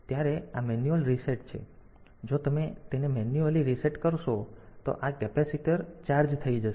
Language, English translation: Gujarati, So, this is the manual reset, so if you manually reset it then this capacitor will get charged